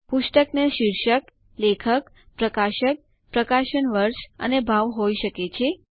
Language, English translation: Gujarati, A book can have a title, an author, a publisher, year of publication and a price